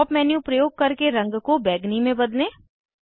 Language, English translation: Hindi, Using Pop up menu change the color to violet